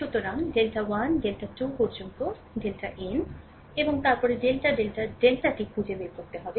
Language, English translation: Bengali, So, we have to find out delta 1, delta 2 up to delta n, and then delta delta delta, right